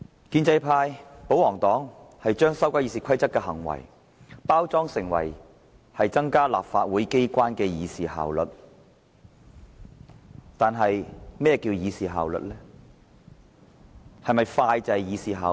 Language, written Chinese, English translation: Cantonese, 建制派把修改《議事規則》包裝成增加立法會議事效率的舉動，但何謂"議事效率"？, The pro - establishment camp has packaged the amendment to RoP as a move to enhance the efficiency of the Legislative Council in policy discussion but what is efficiency in policy discussion?